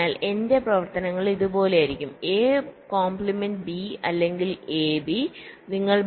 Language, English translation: Malayalam, so my functions will be like this: a bar, b or a b